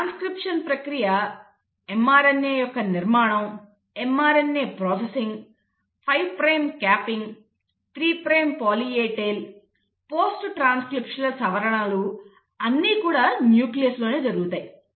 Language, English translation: Telugu, The process of transcription, formation of mRNA processing of mRNA, 5 prime capping, 3 prime poly A tail, post transcriptional modifications, all that is happening in the nucleus